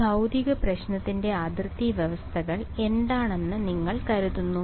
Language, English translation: Malayalam, What for this physical problem what do you think are the boundary conditions